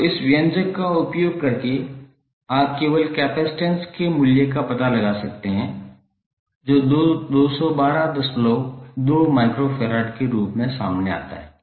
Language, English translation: Hindi, So using this expression you can simply find out the value of capacitance that comes out to be 212